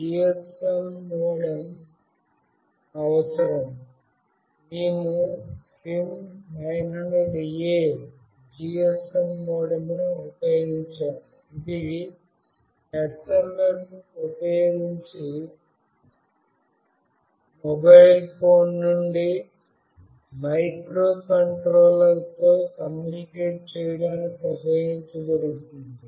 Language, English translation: Telugu, A GSM modem is required; we have used SIM900A GSM modem, which is used to communicate with the microcontroller from a mobile phone using SMS